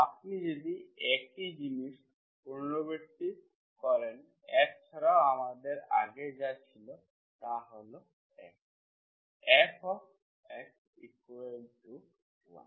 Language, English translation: Bengali, If you repeat the same thing, so what earlier we had, only without F is one